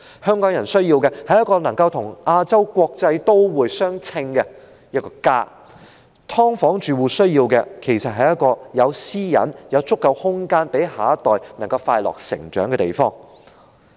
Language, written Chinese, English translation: Cantonese, 香港人需要的是一個能夠與"亞洲國際都會"相稱的一個家。"劏房"住戶需要的是一個有私隱、有足夠空間讓下一代快樂成長的地方。, What Hongkongers need is a home that lives up to the name of Asias world city and the households living in subdivided units need a place with privacy protection and sufficient space for the next generation to grow up happily